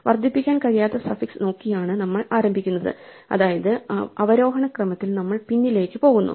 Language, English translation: Malayalam, We begin by looking for suffix that cannot be incremented namely we go backwards so long as it is in descending order